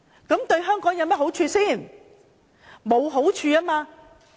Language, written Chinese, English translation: Cantonese, 這對香港有好處嗎？, Is it good for Hong Kong?